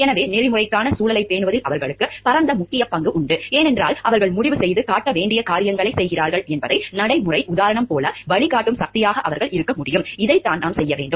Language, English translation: Tamil, So, they have a wide major role to play in that, in maintaining an ethical climate, because they can be a guiding force like practical example by their ways that they are deciding and doing things to show like, this is what we should be doing, this is what we should not be doing and this is the way that we must be doing things